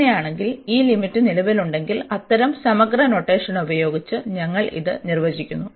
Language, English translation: Malayalam, And in that case if this limit exist, we define this by such integral notation